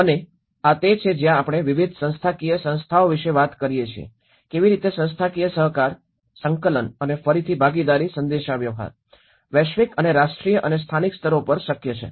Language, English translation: Gujarati, And this is where we talk about different institutional bodies, how institutional cooperation, coordination and again at participation communication, the global and national and local levels